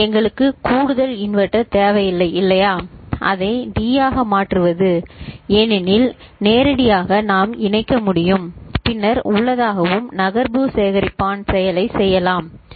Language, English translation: Tamil, We do not need additional inverter, isn’t it, to convert it to D because directly we can connect and then internally and we can get the shift register action performed right ok